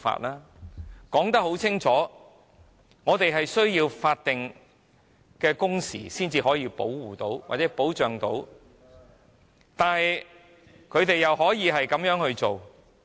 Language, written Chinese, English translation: Cantonese, 我們已經清楚表明，必須訂立法定工時才可保障僱員，但他們竟然這樣做......, While we had made it clear that statutory working hours must be introduced to protect employees they went so far as to